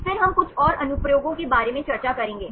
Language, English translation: Hindi, Then we will discuss about couple more applications